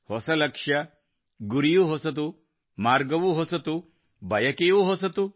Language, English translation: Kannada, New destinations, new goals as well, new roads, new aspirations as well